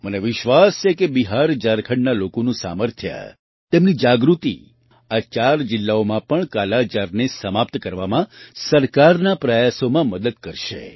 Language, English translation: Gujarati, I am sure, the strength and awareness of the people of BiharJharkhand will help the government's efforts to eliminate 'Kala Azar' from these four districts as well